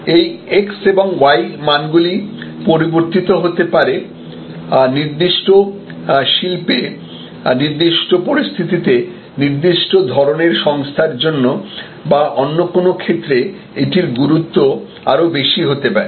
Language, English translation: Bengali, So, this x and y values may change therefore, the importance of MOST maybe more in a certain type of industry, in a certain type of situation, for a certain type of organization or in some other cases this may have a higher level of importance